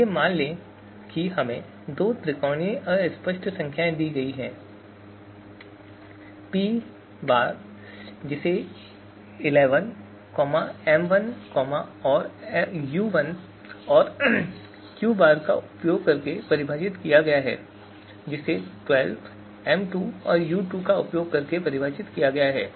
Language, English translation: Hindi, So you know let us assume we have been given these two triangular fuzzy numbers P tilde which is defined using l1, m1 and u1 and Q tilde which is defined using 12, m2 and u2